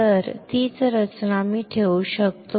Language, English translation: Marathi, So, the same structure I can retain